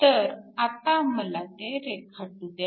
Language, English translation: Marathi, So, lets me draw that next